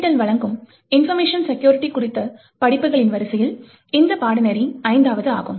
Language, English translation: Tamil, This course is a fifth, in the series of courses on information security that is offered by NPTEL